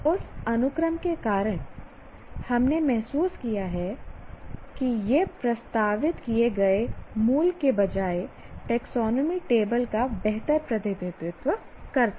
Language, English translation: Hindi, So because of that sequence, we felt this would be a better representation of the taxonomy table rather than the original one that was proposed